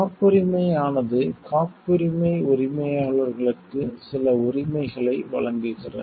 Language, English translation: Tamil, The patent gives certain rights to the patent owners